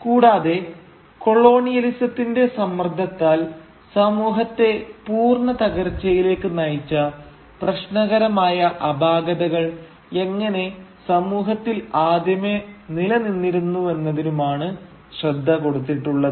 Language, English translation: Malayalam, And how certain very problematic fault lines exist already within the society which leads to its ultimate downfall under the pressure of colonialism